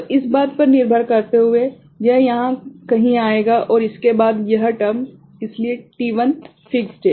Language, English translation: Hindi, So depending on this thing, it will come somewhere here and after that this term; so, t1 is fixed right